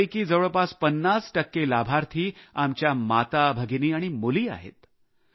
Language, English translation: Marathi, About 50 percent of these beneficiaries are our mothers and sisters and daughters